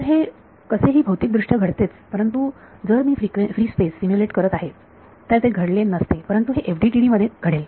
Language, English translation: Marathi, So, this anyway happens physically, but if I was simulating free space it should not happen, but it will happen in FDTD